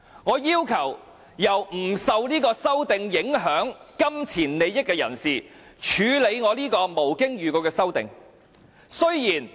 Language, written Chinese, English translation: Cantonese, 我要求由不受這修正案影響，沒有直接金錢利益的人士，來處理我這項無經預告的修正案。, I request that my amendment without notice be handled by a person having no connection and no direct pecuniary interest in this respect